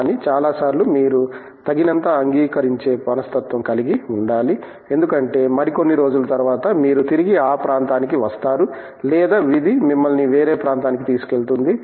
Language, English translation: Telugu, But, most of the times you have to be open enough because maybe some other day you will come back to the area or maybe destiny will take you to some other area